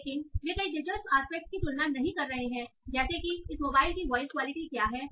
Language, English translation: Hindi, But they are not comparing on many interesting aspects like what is the voice quality of this mobile